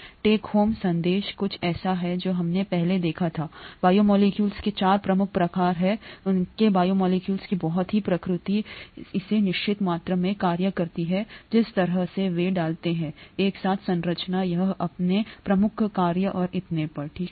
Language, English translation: Hindi, The take home message is something that we saw earlier; the 4 major kinds of biomolecules, their the very nature of the biomolecules gives it a certain amount of function, the way they’re put together, the structure, gives it its major function and so on, okay